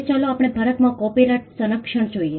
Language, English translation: Gujarati, Now let us look at Copyright protection in India